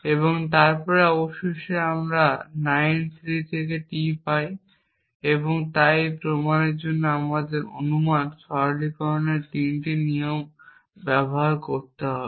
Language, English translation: Bengali, And then finally, we get T from 9 3 and so this proof required us to use 3 rules of inference simplification 4 rules of differential syllogism and the addition